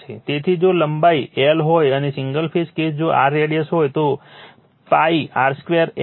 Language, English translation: Gujarati, So, if length is l and the single phase case if r is the radius, so pi r square l right